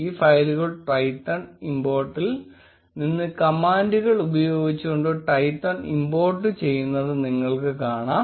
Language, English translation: Malayalam, You will notice that this file imports Twython using the command form Twython import Twython